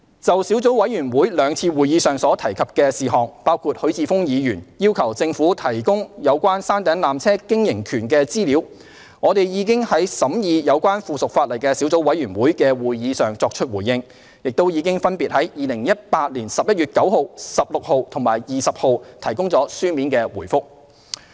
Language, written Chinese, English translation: Cantonese, 就小組委員會兩次會議上所提事項，包括許智峯議員要求政府提供有關山頂纜車經營權的資料，我們已於審議有關附屬法例的小組委員會的會議上作出回應，亦已分別於2018年11月9日、16日及20日提供了書面回覆。, Regarding the matters raised at the two meetings of the Subcommittee on the relevant subsidiary legislation including Mr HUI Chi - fungs request to the Government for information on the operating right of the peak tramway we have already responded at the subcommittee meetings and provided separate written replies on 9 16 and 20 November 2018